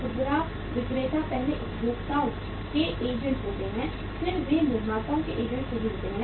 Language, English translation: Hindi, Retailers first are the agents of the consumers then they are the agents of the manufacturers right